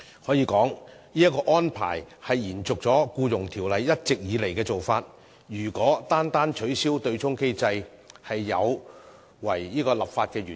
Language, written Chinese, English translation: Cantonese, 可以說，這個安排是延續了《僱傭條例》一直以來的做法，如果取消對沖機制便有違立法原意。, In other words this arrangement is an extension of the long - standing practice prescribed in EO and an abolition of the offsetting mechanism will deviate from the legislative intent